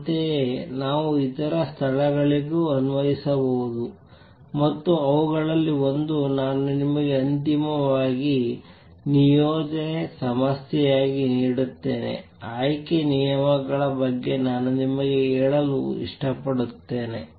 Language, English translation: Kannada, Similarly, we can apply to other places also and one of those, I will give you as an assignment problem finally; I also like to tell you about selection rules